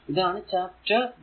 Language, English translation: Malayalam, That is chapter 1